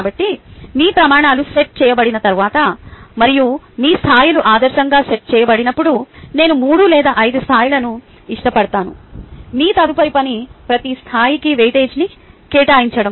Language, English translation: Telugu, so once your criterias are set and your levels are set ideally i would prefer three or five levels you next thing to do is assign weightage for each level